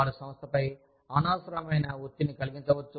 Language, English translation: Telugu, They could put, unnecessary pressure, on the organization